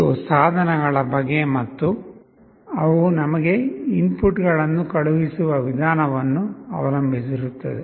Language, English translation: Kannada, It depends on the type of devices and the way they are sending you the inputs